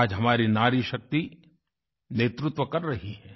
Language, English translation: Hindi, Today our Nari Shakti is assuming leadership roles